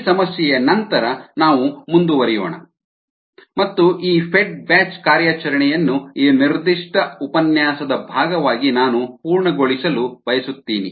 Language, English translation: Kannada, ah, we will continue after this problem, also this, the fed batch operation, which i would like to complete as a part of this particular lecture it'self